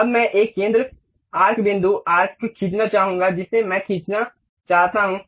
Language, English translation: Hindi, Now, I would like to draw an arc center point arc I would like to draw